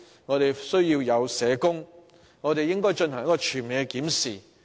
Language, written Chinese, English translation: Cantonese, 我們需要社工，並應就社工人手進行全面檢視。, We need social workers and we should conduct a comprehensive review of the manpower of social workers